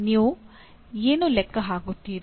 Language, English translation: Kannada, What do you generate